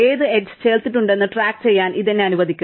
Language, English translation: Malayalam, This will allow me to keep track of which edges are added